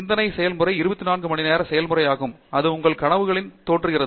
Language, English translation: Tamil, The thinking process is a 24 hour process; it even appears in your dreams